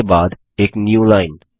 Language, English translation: Hindi, followed by a newline